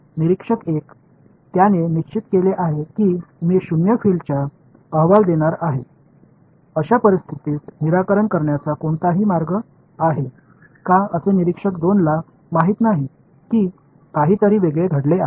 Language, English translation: Marathi, Observer 1 has he is fixed I am going to report zero field is there any way to fix this situations such observer 2 does not know that anything different happened